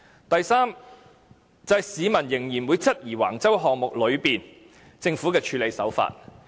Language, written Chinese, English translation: Cantonese, 第三，市民仍會質疑橫洲項目中政府的處事手法。, Third the people will still have queries about the Governments handling of the Wang Chau project